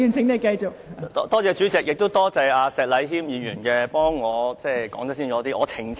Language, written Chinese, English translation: Cantonese, 多謝代理主席，亦多謝石禮謙議員替我澄清。, Thank you Deputy President . Thanks to Mr Abraham SHEK for making the clarification for me